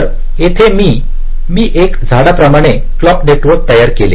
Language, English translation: Marathi, so i am laying out the clock network like a tree